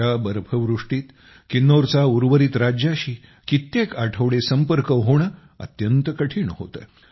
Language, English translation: Marathi, With this much snowfall, Kinnaur's connectivity with the rest of the state becomes very difficult for weeks